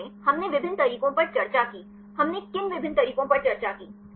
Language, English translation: Hindi, Summarizing, we discussed on various methods; what are the various methods we discussed